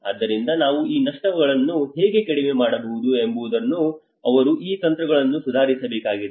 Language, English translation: Kannada, So they need to improve these strategies how we can reduce these losses